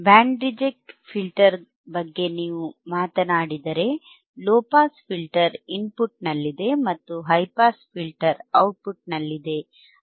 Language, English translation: Kannada, iIf you talk about band reject filter and, low pass filter is at the input and high pass filter is at the output right